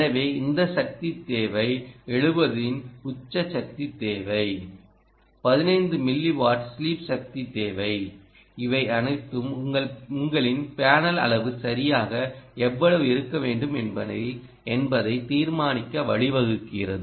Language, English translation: Tamil, so this power requirement of ah peak power requirement of a seventy ah sleep power requirement of fifteen milli watt, all of this leads to deciding what should be the size of your panel, right